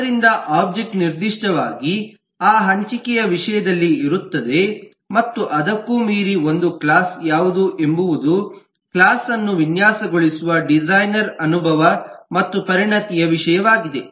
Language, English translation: Kannada, so the class will specifically be in terms of that sharing and beyond that, what a class can be is a matter of experience and expertise of the designer who is designing the class